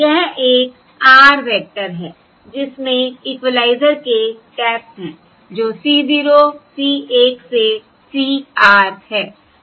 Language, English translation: Hindi, That is an r dimensional vector which has the taps of the equaliser, that is C 0, C 1 up to C r